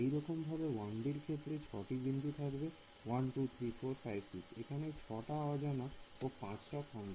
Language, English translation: Bengali, So, similarly in the case of 1 D and how many nodes are a 1 2 3 4 5 6 7 sorry 6; 6 nodes are there